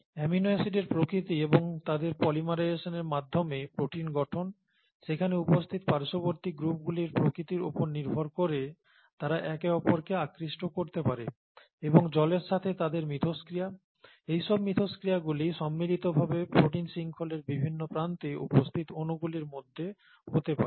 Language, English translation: Bengali, By the very nature of amino acids and the polymerisation of amino acids into proteins, different parts of the proteinaceous chain would attract depending on the side groups that are there and their interactions with water, all these combined, there could be interactions between molecules that are on different parts of the chain